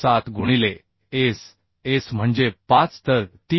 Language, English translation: Marathi, 7 into S S means 5 so 3